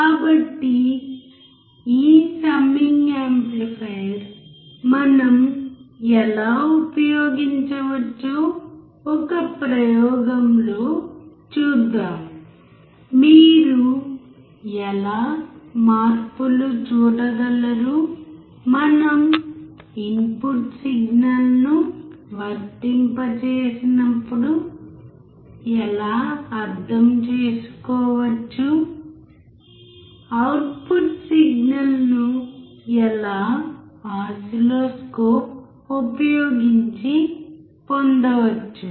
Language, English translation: Telugu, So, let us see in an experiment how we can use this summer; how you can see the changes; how we can understand when we apply input signal; how the output signal would be obtained using the oscilloscope